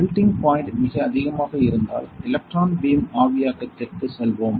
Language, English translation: Tamil, So, in this case, if the melting point is extremely high we will go for electron beam evaporation